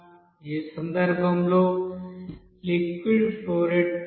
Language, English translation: Telugu, So in that case liquid flow rate will increase